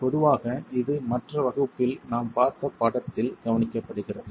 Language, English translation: Tamil, So typically that is observed in the figure that we have been seeing in the other class